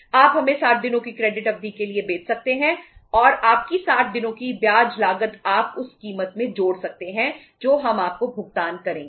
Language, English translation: Hindi, You can sell to us for 60 days credit period and your 60 days interest cost you can add up into the price which we will pay to you